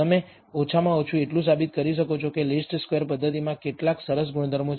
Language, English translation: Gujarati, That you can at least prove that the least squares method has some nice properties